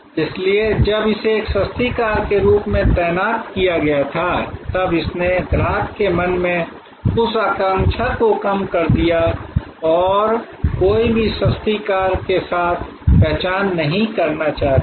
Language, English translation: Hindi, So, when it was positioned as a cheap car, then it undermined that aspiration in the customer's mind and nobody wanted to be identified with a cheap car